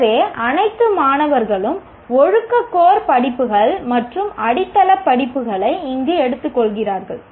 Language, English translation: Tamil, So, all students take discipline core courses and the foundation courses here, the ability enhancement courses